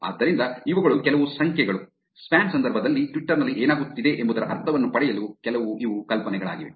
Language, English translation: Kannada, So, these are some numbers, some idea to get a sense of what is happening in Twitter in the context of spam